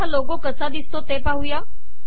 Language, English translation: Marathi, This logo, lets see what this looks like